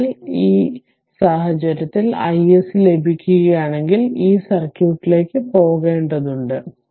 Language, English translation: Malayalam, So, in this case if you got I I SC, then we have to go to this circuit